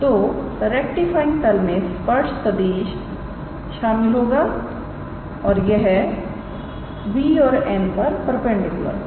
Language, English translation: Hindi, So, rectifying plane we will contain the tangent vector and it will be perpendicular to both b and n alright